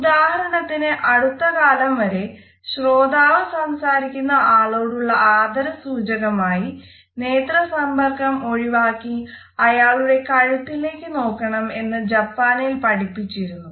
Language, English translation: Malayalam, For example, up till very recently in Japan listeners are taught to focus on the neck of the speaker and avoid a direct eye contact because they wanted to pay respect to the speaker